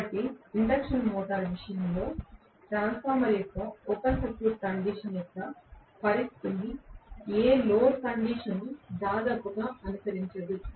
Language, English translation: Telugu, So, no load condition almost mimics the situation of open circuit condition of a transformer in the case of an induction motor